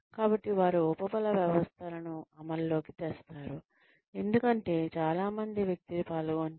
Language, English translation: Telugu, So, they put reinforcement systems in place, because many people are involved